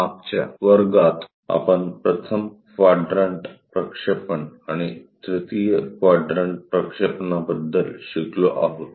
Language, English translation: Marathi, In the last class, we have learned about 1st quadrant projections and 3rd quadrant projections